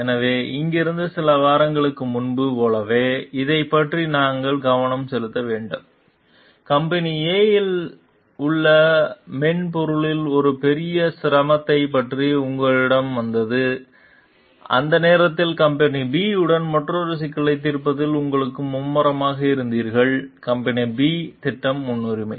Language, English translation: Tamil, So, from here we need to concentrate about it like few weeks ago, company A came to you about a major difficulty with your software, you were busy resolving another issue with company B at the time and company B project was priority